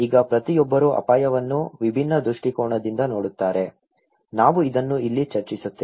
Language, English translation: Kannada, Now, each one see risk from different perspective, we will discuss this here okay